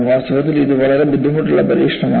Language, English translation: Malayalam, In fact, it is a very difficult experiment